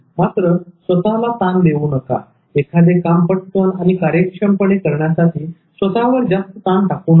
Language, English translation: Marathi, Don't put a lot of pressure on you to do it quickly and efficiently